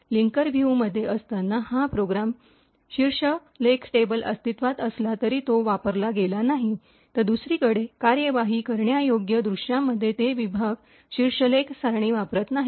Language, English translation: Marathi, While in the linker view this program header table was not, although it was present, it was not used, while in the executable view on the other hand, they section header table is not used